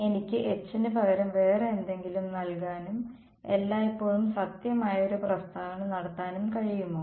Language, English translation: Malayalam, Can I replace H by something and make a statement that will always be true